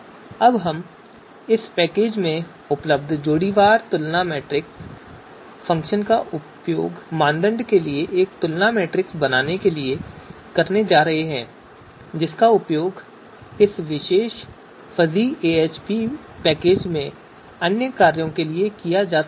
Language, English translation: Hindi, So this is going to create us you know a you know comparison matrix for criteria which is which can be used for other function in this particular fuzzy AHP package